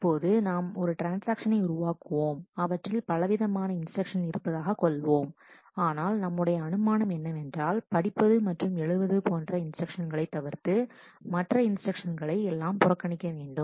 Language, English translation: Tamil, Now, we make now a transaction may have all varied kinds of instructions, but we make an assumption that we will ignore anything other than any instruction other than the read and write instruction